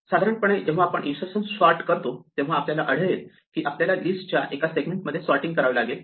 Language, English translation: Marathi, In general, when we do insertion sort we will find that we need to sort things a segment of the list